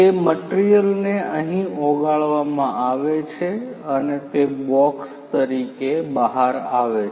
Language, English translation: Gujarati, That material is melted here and it comes out as a box